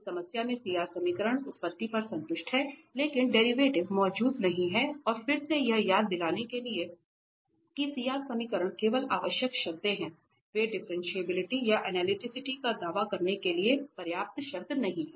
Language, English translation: Hindi, In this problem CR equations are satisfied at origin, but that derivative does not exist and again to remind that the CR equations are just necessary conditions, they are not sufficient conditions to declare to claim the differentiability or analyticity